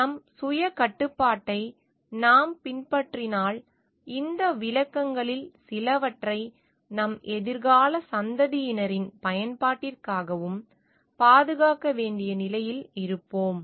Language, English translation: Tamil, If we follow the self restriction on our self, then we will be in a position to preserve some of these resources for the use of our future generation also